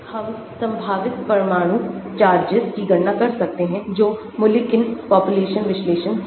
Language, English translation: Hindi, we can calculate the potential atomic charges that is Mulliken population analysis